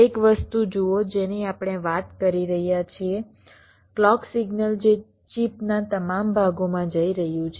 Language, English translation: Gujarati, see one thing: we are talking about the clock signal which is going to all parts of the chip